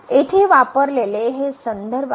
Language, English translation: Marathi, So, these are the references we used here